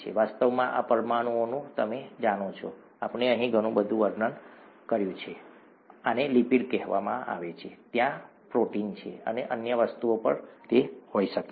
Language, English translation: Gujarati, In fact, these molecules you know that we have been describing so much here, these are called lipids and there are proteins, and there could be other things also